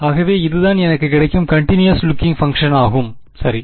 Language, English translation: Tamil, So, this is I got a continuous looking function out of this right